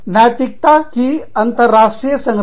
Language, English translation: Hindi, International framework of ethics